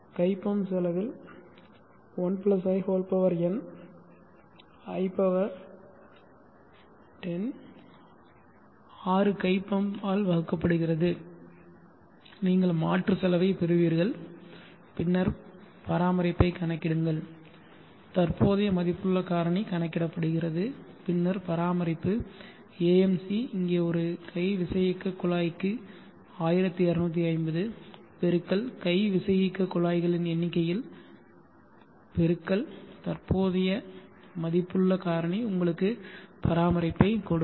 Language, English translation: Tamil, The hand pump cost includes 6 hand pump divided by 1+ in i10 you get the replacement cost then calculate the maintenance the present worth factor is calculated and then maintenance is AMC into AMC here is 1250/ hand pump into number of hand pumps into the present worth factor will give you the maintenance calculate AL LCC and calculate ALCC the annual cube the annual water requirement is basically number of people and per person how much he consumes per day into 365 days and the unit water of water cost ALCC by annual requirement